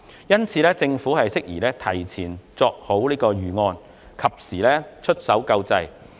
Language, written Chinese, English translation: Cantonese, 因此，政府適宜提前作出預案，及時出手救濟。, Therefore it is appropriate for the Government to prepare relief measures in advance and implement them in time